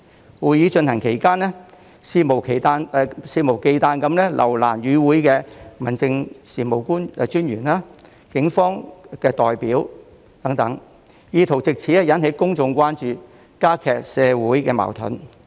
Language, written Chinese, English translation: Cantonese, 在會議進行期間，他們肆無忌憚地留難與會的民政事務專員、警方代表等，意圖藉此引起公眾關注、加劇社會矛盾。, During the meetings they wantonly made things difficult for the District Officers and Police representatives attending the meetings in an attempt to arouse public concern and intensify social conflicts